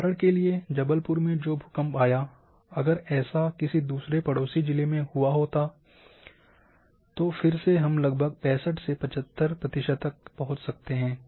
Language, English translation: Hindi, For example, that earthquake occurred in Jabalpur, if that would have occurred in other neighbouring districts then again we might have reach to the same roughly 65 to 75 percent